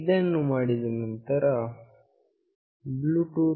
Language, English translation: Kannada, After doing this, the bluetooth